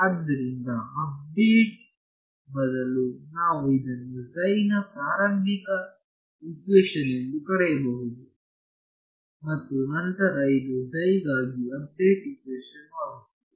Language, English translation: Kannada, So, you can call this the, instead of update we can call this the initialization equation for psi and then this becomes the update equation for psi ok